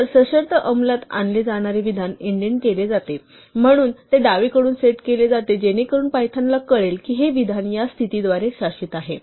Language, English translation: Marathi, And then the statement to be executed conditionally is indented, so it is set off from the left so that Python knows that this statement is governed by this condition